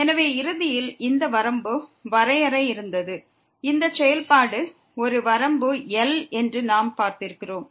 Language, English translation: Tamil, So, this is the def this was eventually the definition of the limit as well, where we have seen that this function has a limit l